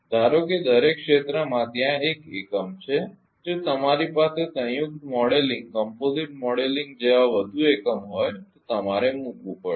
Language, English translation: Gujarati, Assuming that in each area there is one one unit if you have more unit like composite modeling then you have to put